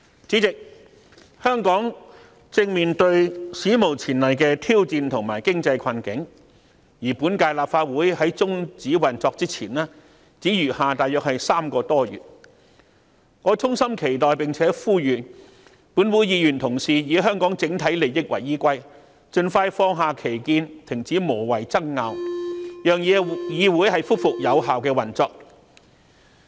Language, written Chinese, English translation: Cantonese, 主席，香港正面對史無前例的挑戰及經濟困境，今屆立法會在終止運作前，只餘下約3個多月，我衷心期待並呼籲本會議員同事以香港整體利益為依歸，盡快放下歧見，停止無謂的爭拗，讓議會恢復有效的運作。, President Hong Kong is in the midst of unprecedented challenges and economic hardship . With about three months to go before prorogation of the Council I sincerely hope and urge that Members can act in the best interest of the whole community expeditiously put aside their disagreement stop their pointless argument and enable the Council to function effectively